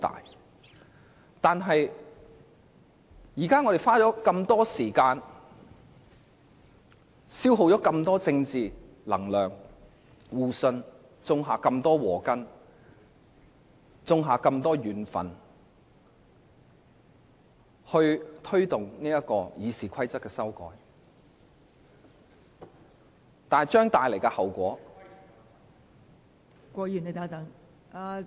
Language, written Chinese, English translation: Cantonese, 我們現在花了這麼多時間，消耗了這麼多政治能量和互信，種下了這麼多禍根和怨憤來推動《議事規則》的修改，後果......, We have spent so much time and political energy; we have forfeited so much mutual trust and sowed the seeds of misfortune and resentment to push through the amendments to RoP in the end